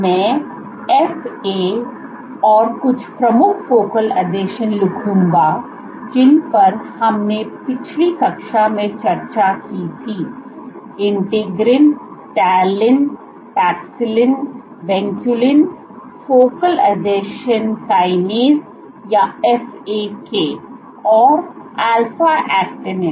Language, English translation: Hindi, I will write FAs and some of the major focal adhesions that we discussed in last class include: Integrins, Talin, Paxillin, Venculin focal adhesion kinase or FAK and alpha actinin